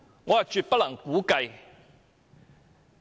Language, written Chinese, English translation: Cantonese, 我絕對無法估計。, It is absolutely unimaginable to me